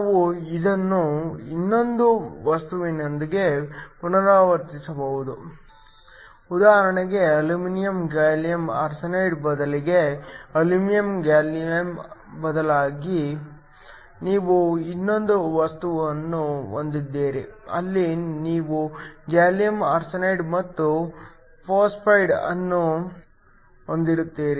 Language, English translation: Kannada, We can repeat this with another material for example, instead of aluminum gallium arsenide, where the aluminum actually substitutes for gallium you have another material, where you have gallium arsenide and phosphide